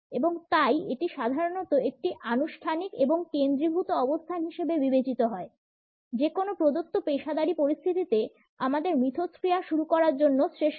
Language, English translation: Bengali, And therefore, it is normally treated as a formal and focused position; the best one to initiate our interactions in any given professional situation